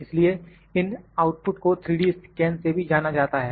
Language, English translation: Hindi, So, these outputs are known as 3D scans